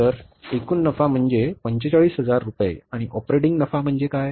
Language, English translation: Marathi, So operating profit in total is 45,000 rupees